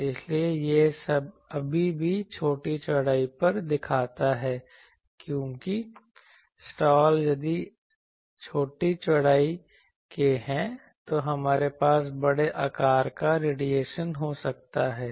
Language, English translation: Hindi, So, that but still it shows that at small width because, slots if it is small width then we have sizable radiation taking place